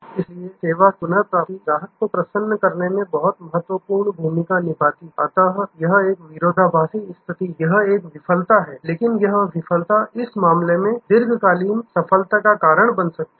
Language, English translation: Hindi, Service recovery, therefore place a very a crucial role in achieving customer delight, so this is a paradoxical situation; that it is a failure, but that failure can lead really in this case to long term success